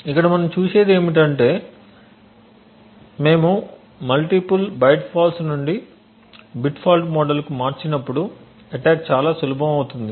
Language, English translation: Telugu, What we see over here is that as we move from the multi byte fault to a bit fault model the attack becomes much easy